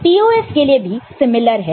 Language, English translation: Hindi, For POS, it is similar